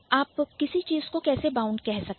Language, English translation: Hindi, How can you call something a bound